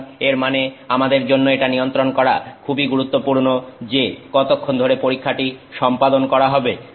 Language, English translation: Bengali, So, this means it is important for us to control how long the test is being carried out